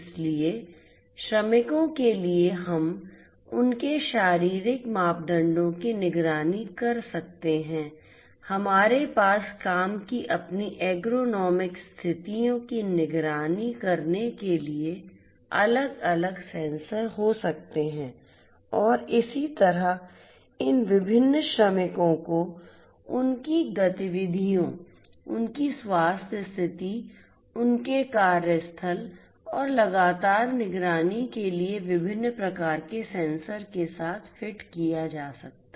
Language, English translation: Hindi, So, for workers we can monitor their physiological parameters, we could have different sensors to monitor their ergonomic conditions of work and likewise these different workers could be fitted with diverse types of sensors for continuously monitoring their activities, their health status, their workplace and so on